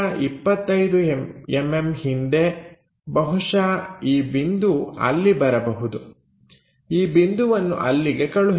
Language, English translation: Kannada, And 25 mm behind VP may be this point, transfer that point somewhere there